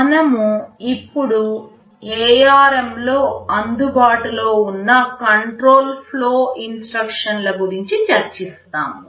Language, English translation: Telugu, We now discuss the control flow instructions that are available in ARM